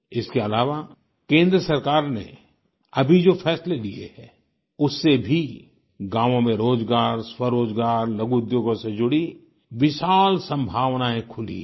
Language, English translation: Hindi, Besides that, recent decisions taken by the Central government have opened up vast possibilities of village employment, self employment and small scale industry